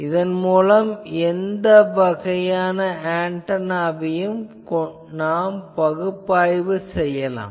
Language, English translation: Tamil, But now almost any type of antenna can be analyzed with this